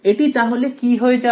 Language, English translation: Bengali, And this becomes what